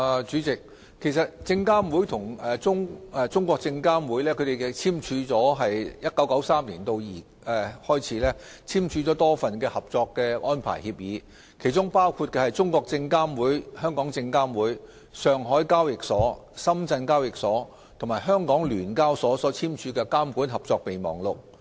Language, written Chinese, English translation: Cantonese, 主席，證監會與中證監自1993年起簽署了多份合作安排協議，包括中證監、證監會、上海證券交易所、深圳證券交易所及香港聯合交易所簽署的《監管合作備忘錄》。, President SFC and CSRC have signed various agreements on cooperation arrangements since 1993 including the Memorandum of Regulatory Cooperation signed between CSRC SFC the Shanghai Stock Exchange the Shenzhen Stock Exchange and the Stock Exchange of Hong Kong